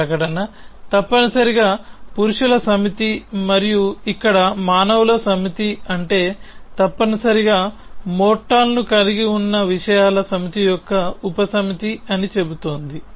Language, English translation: Telugu, So, this statement is essentially saying that the set of men and here off course we mean set of human beings is the subset of the set of things which have mortal essentially